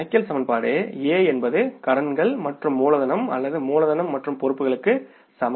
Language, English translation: Tamil, Because the accounting equation is A is equal to liabilities plus capital or capital plus liabilities